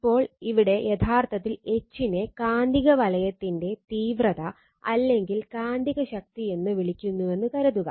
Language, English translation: Malayalam, So, H is actually magnetic field intensity or sometimes we call magnetizing force right